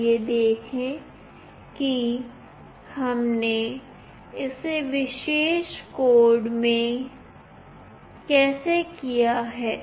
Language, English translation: Hindi, Let us see how we have done in this particular code